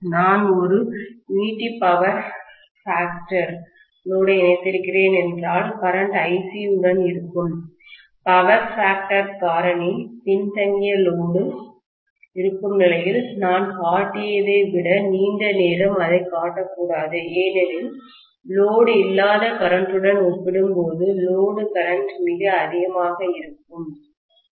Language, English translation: Tamil, If I am connecting a unity power factor load, the current will be along Ic itself, if I am assuming that I am probably connecting some kind of lagging power factor load, I should in fact show it much longer than what I have shown because the load current will be very very high as compared to the no load current